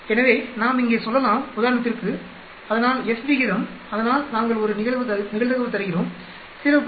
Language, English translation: Tamil, So, we can say here for example, so F ratio so we give a probability say 0